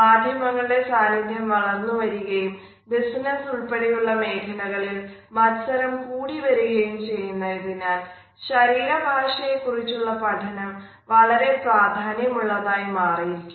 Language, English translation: Malayalam, And therefore, we find that because of the growing presence of media, the growing competitiveness in the business world as well as in other professions a significant understanding of body language is must